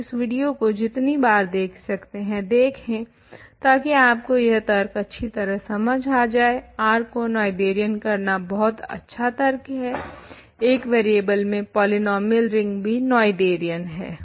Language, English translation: Hindi, So, please go over this video as many times as you have, to make sure that you understand this argument this is a very nice argument to show that if R is Noetherian, the polynomial ring in one variable over R is also Noetherian